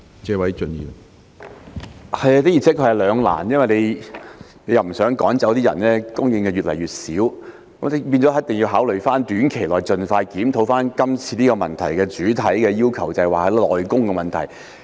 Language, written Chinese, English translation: Cantonese, 這的而且確是兩難，因為當局不想趕走那些外傭，以免供應越來越少，所以一定要考慮在短期內，盡快研究主體質詢提出的要求，即內傭的問題。, This is really a dilemma because the authorities do not want to drive away FDHs to further reduce the supply . Therefore in the short term the authorities must consider studying expeditiously the request made in the main question that is the issue of MDHs